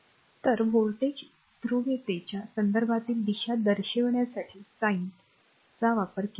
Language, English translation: Marathi, So, sines are used to represent reference direction of voltage polarity